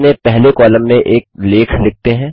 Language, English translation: Hindi, Let us write an article in our first column